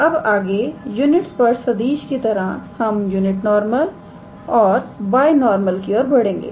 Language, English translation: Hindi, Next like a unit tangent vector we will move to unit normal and binormal